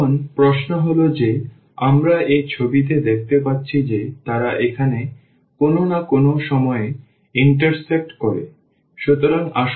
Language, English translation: Bengali, Now, the question is that as we see in this picture that they intersect at some point here